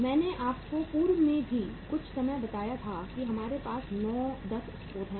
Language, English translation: Hindi, I told you some time in the in the past also that we have 9, 10 sources